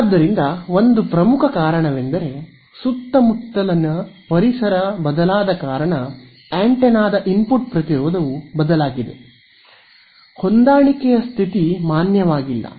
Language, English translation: Kannada, So, one major reason for that would be there is the since the environment around has changed the input impedance of the antenna has changed therefore, the matching condition is no longer valid